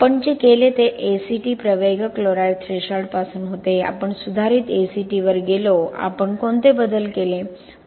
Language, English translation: Marathi, Now so what we did was from ACT accelerated chloride threshold we went to modified ACT, what are the modifications which we did